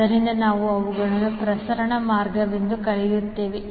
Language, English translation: Kannada, So, we call them as a transmission line